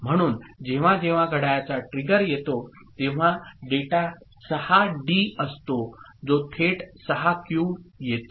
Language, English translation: Marathi, So, whenever the clock trigger comes whatever is the data 6D here comes to 6Q directly